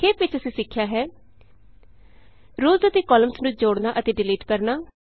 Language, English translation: Punjabi, To summarize, we learned about: Inserting and Deleting rows and columns